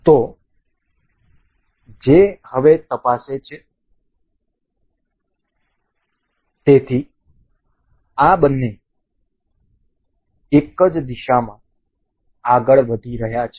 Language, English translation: Gujarati, So, now, which now check now; so, both are both of these are moving in the same direction